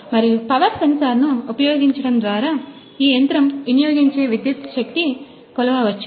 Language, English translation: Telugu, And by using the power sensor we can a measure the power the electric power consumed by this machine